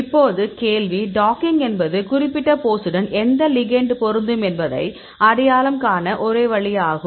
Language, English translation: Tamil, So, now the question is docking is only way to identify which ligand can fit with this particular pose